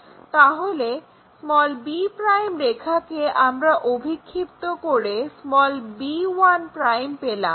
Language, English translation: Bengali, So, b' line we project it to get b 1'